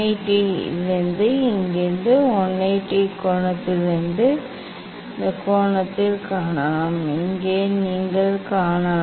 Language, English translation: Tamil, from 180 from here you can see from 180 minus of this angle